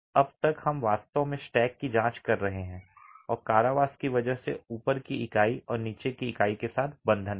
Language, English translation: Hindi, As of now, we are actually examining the stack and the confinement is because of the bond with the unit above and the unit below